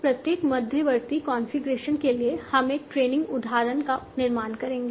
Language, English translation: Hindi, Now for each intermediate configuration we will construct a training instance